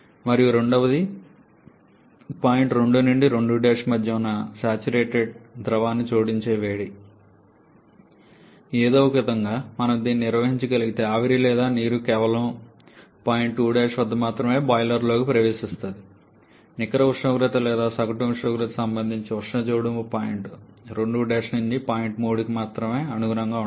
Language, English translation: Telugu, And secondly or I should say reduce the irreversibility’s and secondly the heat that you are adding to the saturated liquid that is between point 2 to 2 Prime if somehow we can manage this such that the steam or liquid water enters the boiler only at point 2 prime then also the net temperature or average temperature corresponding heat addition will correspond only to find 2 prime 2